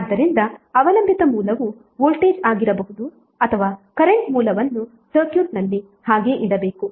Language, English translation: Kannada, So dependent source may be voltage or current source should be left intact in the circuit